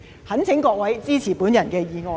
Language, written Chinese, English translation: Cantonese, 懇請各位支持我的議案。, I implore you all to support my motion